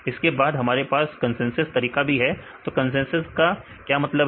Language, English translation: Hindi, Then also we have the consensus method what is the meaning of consensus